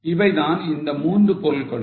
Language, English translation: Tamil, These are the three months